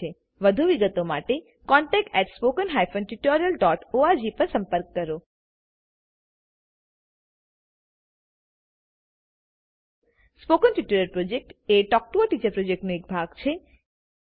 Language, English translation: Gujarati, For more details, please write to: contact@spoken tutorial.org Spoken Tutorial Project is a part of the Talk to a Teacher project